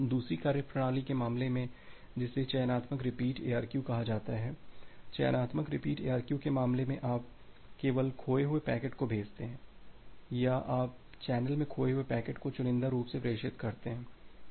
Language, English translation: Hindi, In case of the second methodology which is called as the selective repeat ARQ in case of selective repeat ARQ, you only send the lost packet or you selectively transmit retransmit the packet which has been lost in the channel